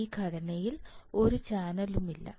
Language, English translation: Malayalam, It means a channel is not there